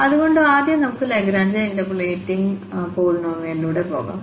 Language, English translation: Malayalam, So, first, let us go through the Lagrange interpolating polynomial